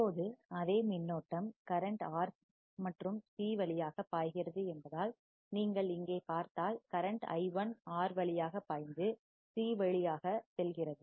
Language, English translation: Tamil, Now, since the same current flows through R and C right, if you see here current i1 flows through R and goes through C